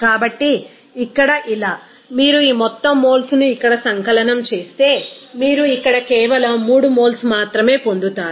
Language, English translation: Telugu, So, here like this, if you sum it up this whole moles here you will get here simply 3 moles only